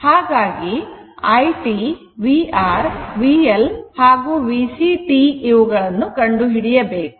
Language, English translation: Kannada, So, you have to find out I t, v R t, v L t, and v C t right